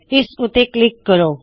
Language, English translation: Punjabi, Let me click here